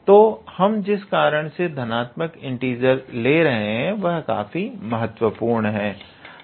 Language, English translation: Hindi, So, the reason we are taking the positive integers is that I mean this is a very vital point